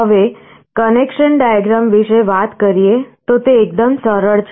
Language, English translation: Gujarati, Now, talking about the connection diagram it is fairly simple